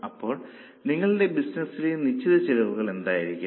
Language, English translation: Malayalam, Now what will be the fixed cost in your business